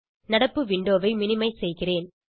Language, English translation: Tamil, I will minimize the current window